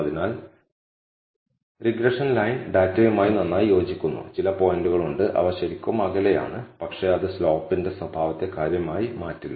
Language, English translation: Malayalam, So, our regression line fits the data pretty well, though there are some points, which are really away, but it does not change the nature of the slope drastically